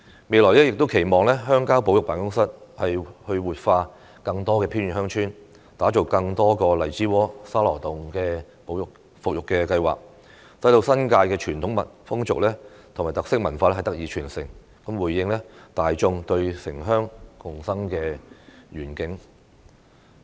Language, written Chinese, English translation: Cantonese, 未來亦期望鄉郊保育辦公室活化更多偏遠鄉村，打造更多個荔枝窩、沙羅洞的復育計劃，使新界傳統風俗及特色文化得以傳承，回應大眾對城鄉共生的願景。, I also hope that in the future the Countryside Conservation Office will revitalize more remote villages and develop more revitalization plans for Lai Chi Wo and Sha Lo Tung so that the traditional customs and unique culture in the New Territories will be transmitted thus responding to the communitys aspirations for urban - rural symbiosis